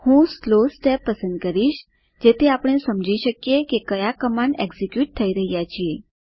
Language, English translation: Gujarati, I will choose Slow step so that we understand what commands are being executed